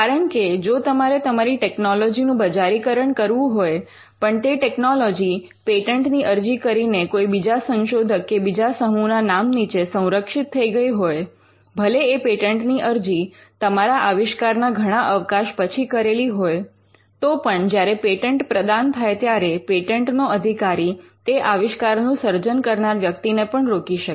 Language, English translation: Gujarati, Because, if your technology needs to be commercialized and that technology was protected by a patent file by another researcher or another team though the patent could have been filed much after you invent that the technology; still when the patent is granted, the patent holder can stop the person who developed the invention in the first case